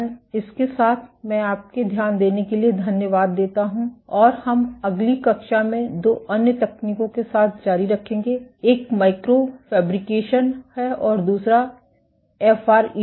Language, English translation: Hindi, With that I thank you for your attention and we will continue in next class with two other techniques; one is micro fabrication and the other is FRET